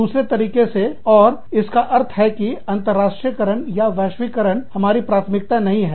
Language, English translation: Hindi, The other way, and so, this means that, internationalization or globalization, is not a priority for us